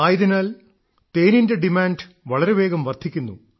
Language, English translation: Malayalam, In such a situation, the demand for honey is increasing even more rapidly